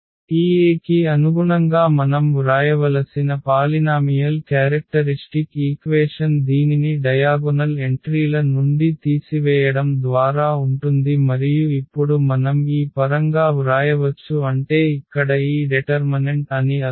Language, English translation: Telugu, So, the characteristic polynomial characteristic equation we have to write corresponding to this A which will be just by subtracting this lambda from the diagonal entries and now we can write down in terms of this I mean this determinant here